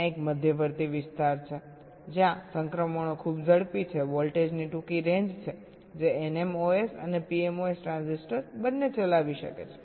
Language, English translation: Gujarati, there is an intermediate region where the transitions is very fast, a short range of voltage during which both the n mos and p mos transistors may be conducting